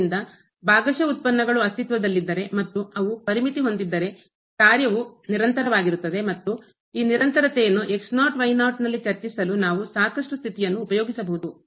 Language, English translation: Kannada, So, if the partial derivatives exists and they are bounded, then the function will be continuous and we can also have a sufficient condition to discuss this continuity at naught naught